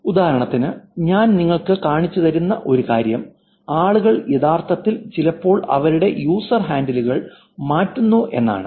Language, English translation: Malayalam, For example, one thing I will show you also is people actually change their user handles sometimes